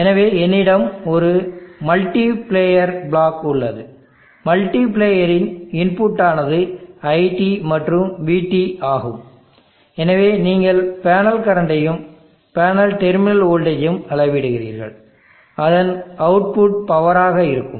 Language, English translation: Tamil, So let me have a multiplier block, the input of the multipliers are IT and VT, so you are measuring the panel current and the panel terminal voltage, and the output of that would be the power